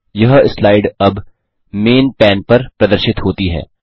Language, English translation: Hindi, This slide is now displayed on the Main pane